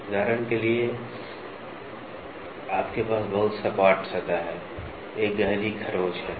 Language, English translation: Hindi, For example; you have a very flat surface there is a deep scratch